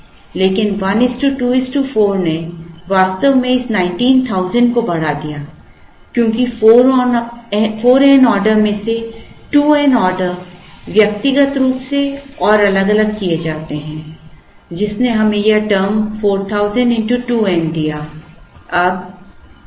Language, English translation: Hindi, But, 1 is to 2 is to 4 actually increase this thing 19000, because out of the 4 n orders 2 n orders are done individually and separately which gave us which brought this term 4000 into 2 n